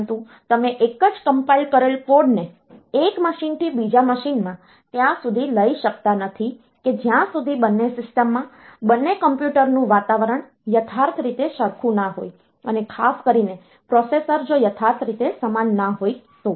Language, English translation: Gujarati, But you cannot take the same compiled code from one machine to another machine, until and unless the environments in both the system both the computers are exactly same, including the processor that we have and particularly the processor that is exactly same